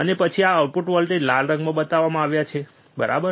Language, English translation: Gujarati, And then this output voltage is shown in red colour, right